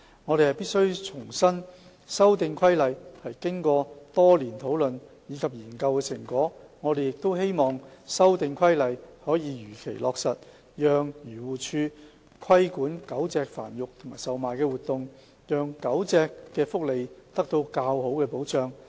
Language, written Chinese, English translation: Cantonese, 我們必須重申，修訂規例是經過多年討論及研究的成果，我們亦希望修訂規例可以如期落實，讓漁護署規管狗隻繁育和售賣活動，使狗隻的福利得到較好的保障。, We must reiterate that the Amendment Regulation is the fruit of years of discussion and study . We also hope that the Amendment Regulation can be implemented on schedule to enable AFCD to regulate dog breeding and trading activities so that the welfare of dogs can be better protected